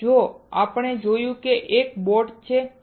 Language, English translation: Gujarati, Now, we see that there is a boat